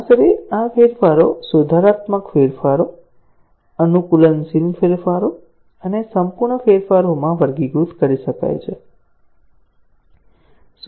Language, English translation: Gujarati, Roughly, these changes can be classified into corrective changes, adaptive changes and perfective changes